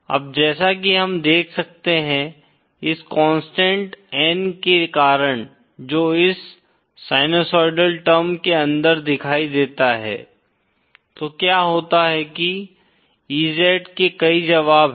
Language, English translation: Hindi, Now as we can see, because of this constant n that appears inside this sinusoidal term what happens is that there are many solutions of EZ